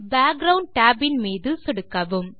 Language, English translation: Tamil, Click the Background tab